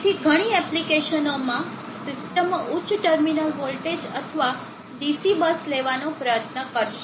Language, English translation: Gujarati, So in many applications the systems will try to have a higher terminal voltage or DC+